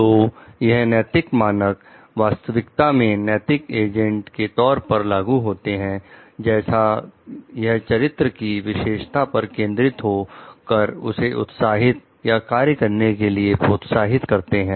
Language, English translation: Hindi, So, these ethical standards are actually applied to the moral agents like, it is more focused on their character traits motives or actions